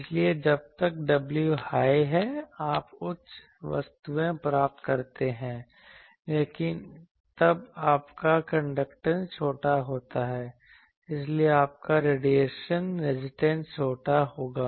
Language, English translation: Hindi, So, as w high you get a things, but then your conductance is smaller so your radiation resistance which will be small